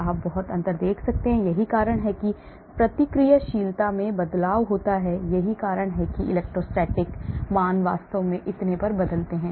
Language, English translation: Hindi, you can see lot of difference, that is why the reactivity changes, that is why the electrostatic values change and so on actually